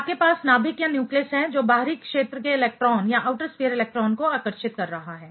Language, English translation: Hindi, You have nucleus which is attracting the outer sphere electron